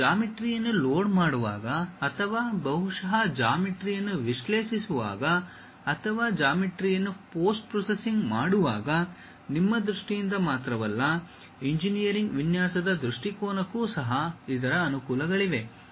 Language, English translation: Kannada, It has its own advantages like when you are loading the geometry or perhaps analyzing the geometry or perhaps post processing the geometry not only in terms of you, even for engineering design perspective